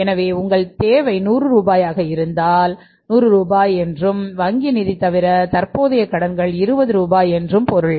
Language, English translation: Tamil, So, it means your requirement is 100 rupees and current liability is less other than the bank finance are 20 rupees